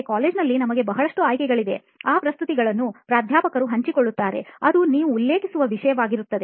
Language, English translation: Kannada, But in college we have a lot of options, in that presentations which professor shares, that is something which you refer